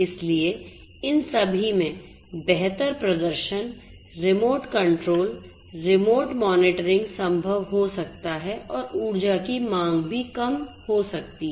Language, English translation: Hindi, So, all of these improved performance remote control, remote monitoring can be possible and also reduced energy demands